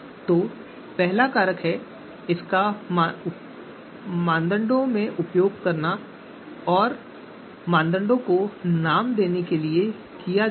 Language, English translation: Hindi, So first one is factors, this is to name the parameters